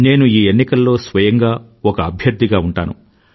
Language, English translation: Telugu, I myself will also be a candidate during this election